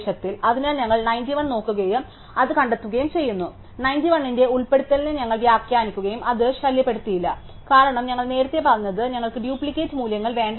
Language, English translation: Malayalam, So, we look for 91 and we find it, so we will interpret the insertion of 91 has something which does not disturbed the tree, because we earlier said we do not want to have duplicate values